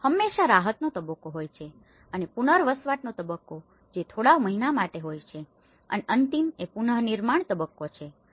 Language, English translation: Gujarati, There is always a relief stage, there is a rehabilitation stage which goes for a few months and the final is the reconstruction stage